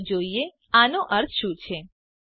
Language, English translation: Gujarati, Lets see what this means